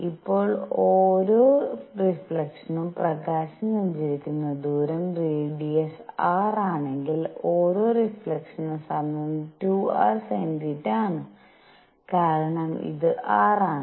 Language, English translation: Malayalam, Now for each reflection the distance travelled by light is, if the radius is r then time per reflection is 2 r sin theta because this is r this is theta